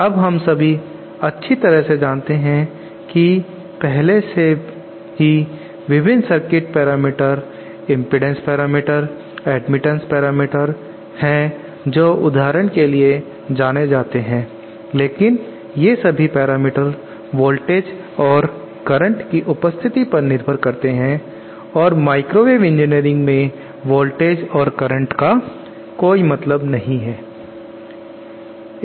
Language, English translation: Hindi, Now we all know that there are various circuit parameters that are already well known for example, the impedance parameters, the admittance parameters, but then all these parameters are dependent on the presence of voltage and current and microwave engineering we donÕtÉ let us say that voltage and current do not make much sense